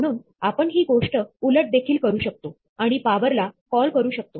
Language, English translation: Marathi, So, we can even reverse the thing, and say, call power